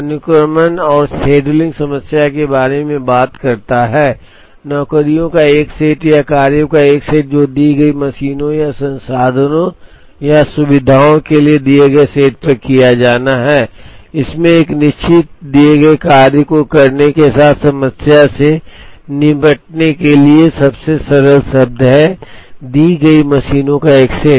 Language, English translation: Hindi, The sequencing and scheduling problem talks about, a set of jobs or a set of tasks, that have to be performed on given machines or a given set of resources or facilities, in it is simplest term the problem deals with performing a certain given jobs on a set of given machines